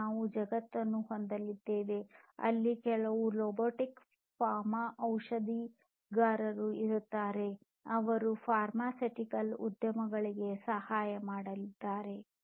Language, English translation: Kannada, And we are going to have a world, where there would be some robotic pharmacists, which is going to help in the pharmaceutical industry